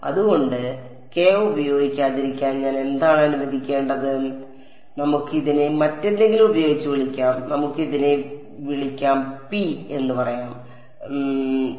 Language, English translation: Malayalam, So, what should I let us let us not use k let us call this by some other thing let us call this let us say p let us call this p